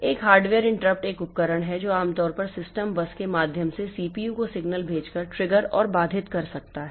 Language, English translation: Hindi, A hardware interrupt is a device may trigger an interrupt by sending a signal to the CPU usually by way of the system bus